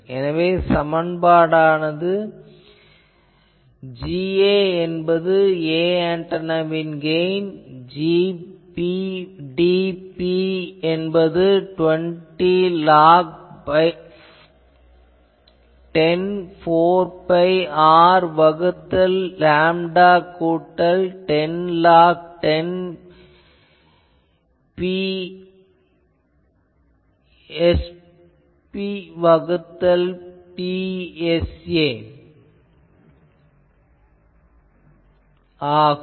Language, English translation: Tamil, So, if that is their so I will have G ot dB equal to Gor dB is equal to half of this 20 log 10 4 pi R by lambda plus 10 log 10 P r by P t